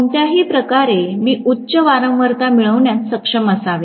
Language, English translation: Marathi, Either way, I should be able to get a higher frequency